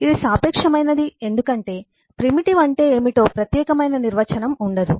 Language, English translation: Telugu, it is relative because there is, there cannot be a unique definition of what is a primitive